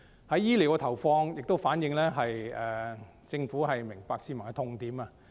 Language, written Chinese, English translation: Cantonese, 在醫療方面的投放亦反映政府明白市民的痛點。, The funding for health care also reflects the Governments understanding of the pinches felt by the public